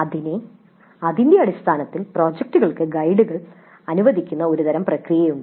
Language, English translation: Malayalam, So based on that there is a kind of a process by which the guides are allocated to the projects